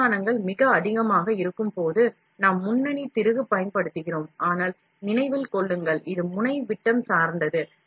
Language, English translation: Tamil, When the resolutions are very high, then we use lead screw, but keep in mind, it is also depending on the nozzle diameter